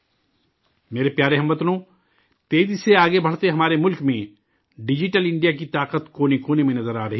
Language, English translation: Urdu, My dear countrymen, in our fast moving country, the power of Digital India is visible in every corner